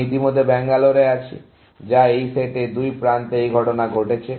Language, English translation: Bengali, I already have Bangalore, which has two edges incident on it in this set